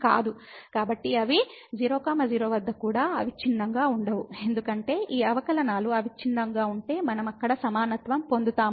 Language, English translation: Telugu, So that means, they are not continuous also at 0 0 because we have seen if the derivatives these derivatives are continuous then we will get the equality there